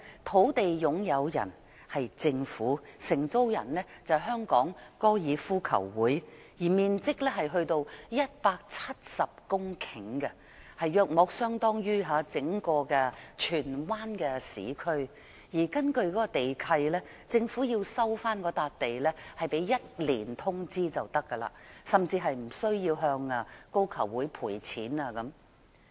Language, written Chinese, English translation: Cantonese, 土地擁有人是政府，承租人是香港高爾夫球會，面積達170公頃，大約相當於整個荃灣市區，而根據該地契，如果政府要收回該幅土地，只須1年通知便可，甚至無須向高球會賠償等。, The site owned by the Government and leased by the Hong Kong Golf Club covers an area of 170 hectares which is equivalent to the entire urban area of Tsuen Wan . The terms of the lease provide among others that the Government only needs to give one years notice to resume the site it even does not have to pay any compensation to the Hong Kong Golf Club